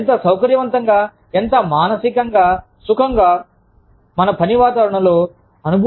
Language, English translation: Telugu, And, or, how comfortable, how mentally comfortable, we feel in our work environment